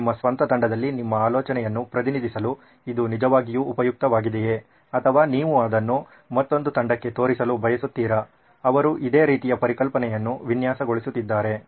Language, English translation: Kannada, Its actually also useful to represent your idea within your own team or you want to show it to another team who is also designing a similar concept